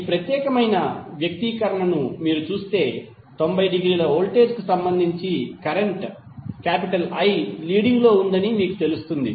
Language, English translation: Telugu, Then if you see this particular expression you will come to know that current I is leading with respect to voltage by 90 degree